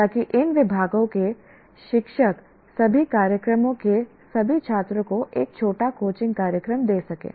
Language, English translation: Hindi, So, the teachers from these departments can offer a short coaching program to all students of all programs